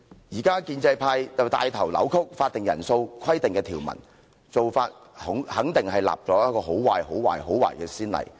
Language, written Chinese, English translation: Cantonese, 現在建制派帶頭扭曲法定人數規定的條文，做法肯定是立了一個很壞、很壞、很壞的先例。, Now the pro - establishment camp has taken the lead to distort the intent of the provision on the quorum requirement . What they seek to do will definitely set an appalling appalling appalling precedent